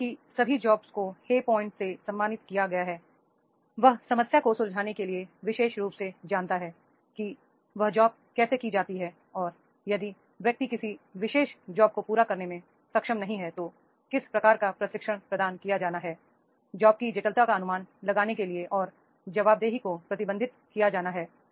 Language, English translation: Hindi, As soon as all jobs were awarded, hey points that is the particular for the problem solving know how, that is how this job is to be done and if the person is not able to meet this particular job then what type of the training is to be provided and accountability that is to be managed to estimate the complexity of the jobs